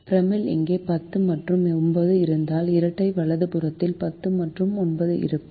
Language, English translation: Tamil, if the primal has ten and nine, here the duel will have ten and nine in the right hand side